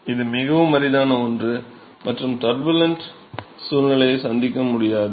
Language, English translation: Tamil, This is something which is very rare and would never encounter a turbulent conditions